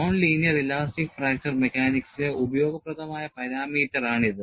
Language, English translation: Malayalam, It is a useful parameter in non linear elastic fracture mechanics